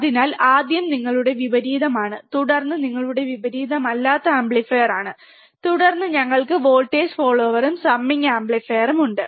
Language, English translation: Malayalam, So, first is your inverting, then it is your non inverting amplifier, then we have voltage follower and summing amplifier